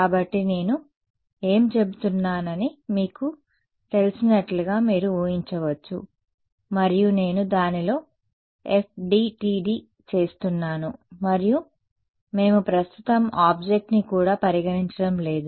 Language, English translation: Telugu, So, you can imagine like you know I have say water and I am doing FDTD within that and just 1D medium we are not even considering object right now